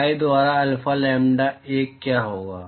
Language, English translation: Hindi, What will be alpha lambda 1 by pi